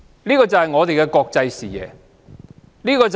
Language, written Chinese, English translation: Cantonese, 這就是我們的國際視野。, This is our international vision